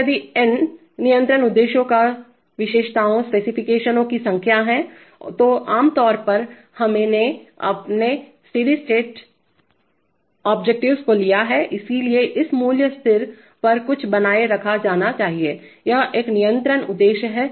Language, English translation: Hindi, And if n* is the number of control objectives or specifications, typically we have taken our steady state objectives, so something should be maintained at this value constant, this is one control objective